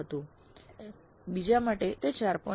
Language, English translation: Gujarati, 8 for the second it was 4